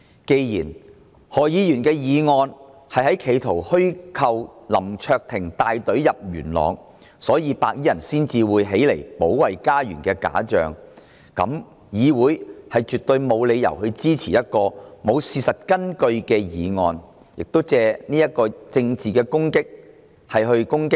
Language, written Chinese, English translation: Cantonese, 既然何議員的議案企圖虛構林卓廷議員帶隊進入元朗，所以白衣人才會起來保衞家園的假象，那麼議會絕對沒有理由支持一項沒有事實根據的議案，藉此對林卓廷議員作出政治攻擊。, Dr HOs motion attempts to conjure up the illusion that Mr LAM Cheuk - ting was the one who led a group of people to Yuen Long and that was why those white - clad people came forward to defend their homes . That being the case this Council absolutely has no reason to support this motion as it is stripped of any factual basis and intended to discredit Mr LAM Cheuk - ting politically